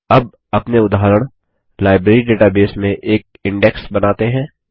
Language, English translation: Hindi, Now let us create an index in our example Library database